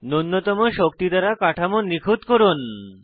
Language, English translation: Bengali, Do the energy minimization to optimize the structure